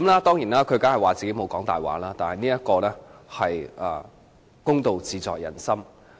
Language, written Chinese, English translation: Cantonese, 當然，他聲稱自己沒有說謊，但公道自在人心。, He of course claimed that he did not lie but justice is in peoples hearts